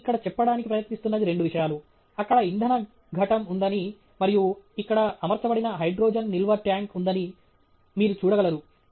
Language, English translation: Telugu, And the two things that I am trying to highlight here are that there is a fuel cell there and that there is a hydrogen storage tank which has been mounted here; that you can see